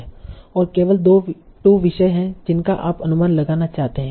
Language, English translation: Hindi, And there are only two topics that you want to estimate